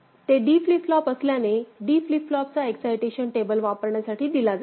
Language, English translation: Marathi, Since it is D flip flop so, D flip flop excitation table will be put to use